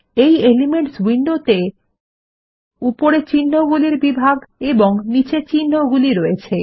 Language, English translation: Bengali, Now the elements window has categories of symbols on the top and symbols at the bottom